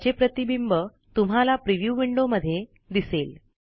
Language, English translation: Marathi, Again notice the change in the preview window